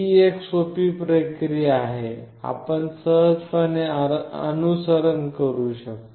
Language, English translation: Marathi, This is a simple process that you have to follow